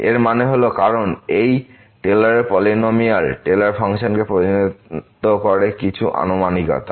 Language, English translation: Bengali, That means, because this Taylor’s polynomial representing the Taylor functions to some approximation